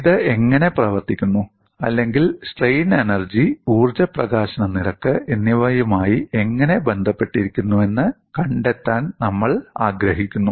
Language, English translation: Malayalam, And we want to find out how this could be related to the work done or strain energy, and the energy release rate